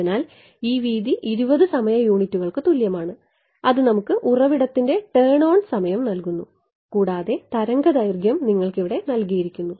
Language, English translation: Malayalam, So, this width is equal to 20 time units is giving you the turn on time of the source and the wave length is given to you over here